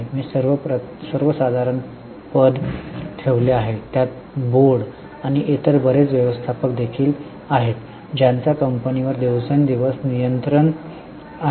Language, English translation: Marathi, I have put the general term, it includes the board and also many other managers who have day to day control over the company